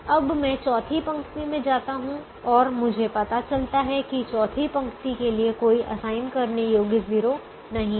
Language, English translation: Hindi, now i and i go to the fourth row and i realize that there is no assignable zero for the fourth row